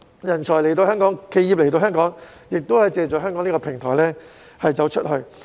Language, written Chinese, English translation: Cantonese, 人才及企業來到香港，可以借助香港的平台"走出去"。, Talents and enterprises in Hong Kong can then go global by making use of Hong Kong as the gateway